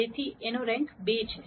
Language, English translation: Gujarati, So, rank of A is 2